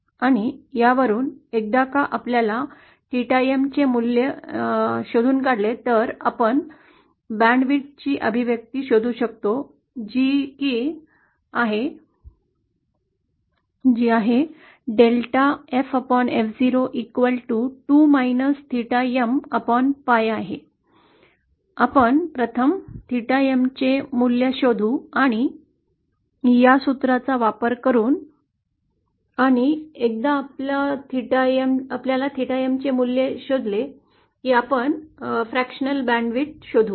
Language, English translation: Marathi, And from this once we find out the value of theta M we can find out an expression for the band width, the given a certain value of gamma M, we first find out the value of theta M, and from this using this formula and once we find out the value of theta M, we find out the fractional band width